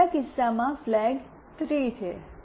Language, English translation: Gujarati, In the third case, the flag is 3